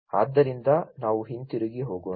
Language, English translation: Kannada, So let us go back